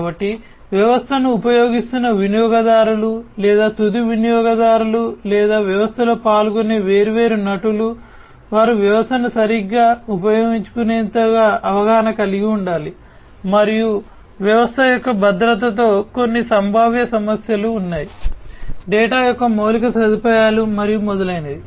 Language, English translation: Telugu, So, the users, the end users, who are using the system or are different actors taking part in the system they will also need to be educated enough to use the system properly, and that there are some potential issues with security of the system of the infrastructure of the data and so on